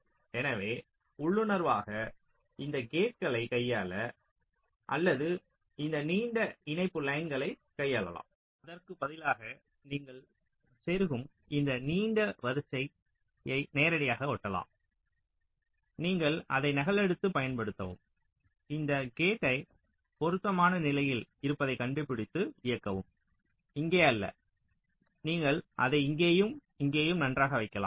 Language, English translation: Tamil, so intuitively, this gates can be inserted either to handle this or to handle this long interconnection lines, maybe instead driving directly this long line, you insert, you replicate it and anther copy to use which will be used to drive these and these gate you can locate in a suitable position, not here may be, you can place it here and here